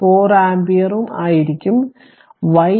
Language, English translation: Malayalam, 4 ampere and i y is minus 3